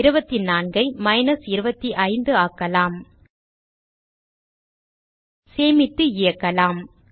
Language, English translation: Tamil, Change 24 to minus 25 Save and Run